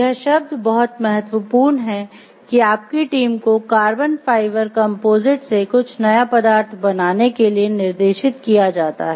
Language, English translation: Hindi, So, this word is important your team is directed to make some of the parts of the structural members out of carbon fiber composites